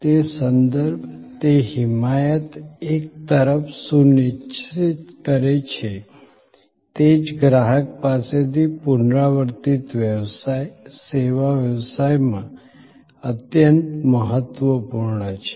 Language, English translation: Gujarati, That referral, that advocacy ensures on one hand, repeat business from the same customer, extremely important in service business